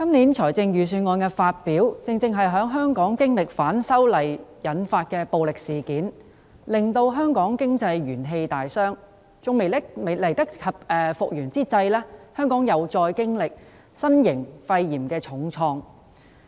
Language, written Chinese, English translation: Cantonese, 主席，今年財政預算案發表時，香港正經歷反修例引發的暴力事件；香港經濟元氣大傷尚未來得及復原，又因新型肺炎經歷重創。, President when the Budget was delivered this year Hong Kong was experiencing violence arising from the opposition to the proposed legislative amendments . Before Hong Kong can fully recover from the weakened economy it is hard bit by the outbreak of the novel coronavirus